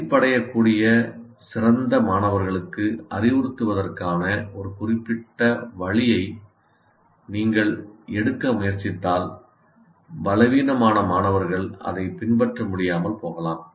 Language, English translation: Tamil, Because if you try to take one particular way of instructing, better students may get bored, weak students may not be able to catch them